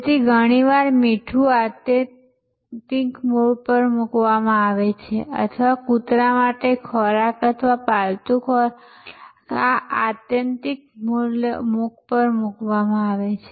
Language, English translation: Gujarati, So, salt is often placed at this extreme or dog food or pet food is placed at this extreme